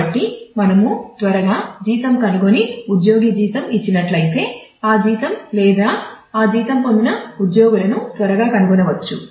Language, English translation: Telugu, So, that we can quickly find the salary of and given the salary of an employee we can quickly find the employee or the employees who get that salary